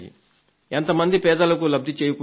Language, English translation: Telugu, A lot of the poor have been benefitted